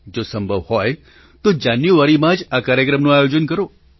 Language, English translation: Gujarati, If possible, please schedule it in January